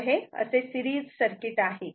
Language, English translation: Marathi, So, this is the this is the series circuit